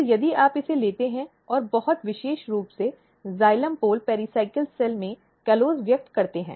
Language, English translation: Hindi, Then if you take this and express callose very specifically in the xylem pole pericyclic cell